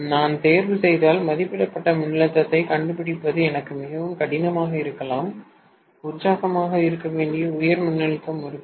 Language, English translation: Tamil, And it may be very difficult for me to find the rated voltage if I am choosing the high voltage winding which is to be excited